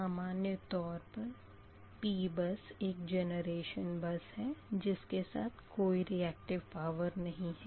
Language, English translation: Hindi, so p bus is basically a generation bus right with no reactive power specified, right